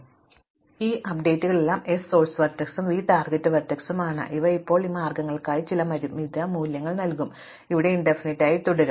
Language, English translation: Malayalam, So, all are these updates where s is the source vertex and v is the target vertex, these will give us now some finite values for these vs, where as these will just remain infinity